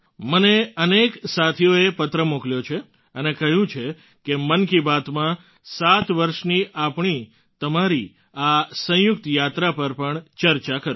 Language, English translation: Gujarati, Many friends have sent me letters and said that in 'Mann Ki Baat', I should also discuss our mutual journey of 7 years